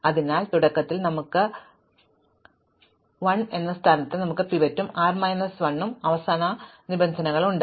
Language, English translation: Malayalam, So, initially we have at the position l, we have the pivot and r minus 1 is the last index